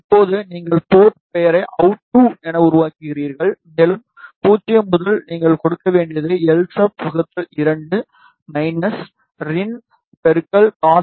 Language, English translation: Tamil, Now, you create the port name it as out2, and from 0 to all you need to give is Lsub by 2 minus rin into cos y